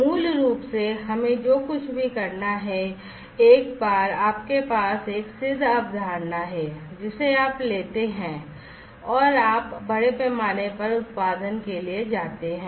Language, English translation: Hindi, Basically, in all we need to do is once you have a proven concept you take it and you go for mass production